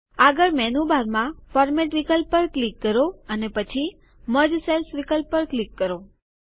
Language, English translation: Gujarati, Next click on the Format option in the menu bar and then click on the Merge Cells option